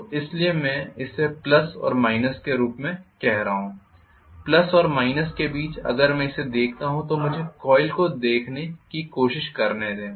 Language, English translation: Hindi, So that is why I am calling this as plus and this as minus,ok, between the plus and minus if I look at it let me try to look at the coil